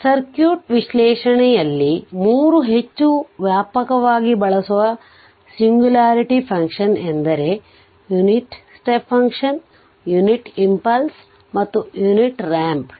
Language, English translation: Kannada, So, in circuit analysis the 3 most widely used singularity function are the unit step function the units impulse and the unit ramp